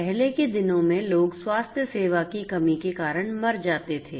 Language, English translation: Hindi, Earlier days people used to die due to lack of healthcare